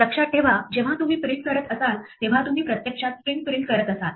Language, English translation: Marathi, Remember when you are doing print, you are actually printing a string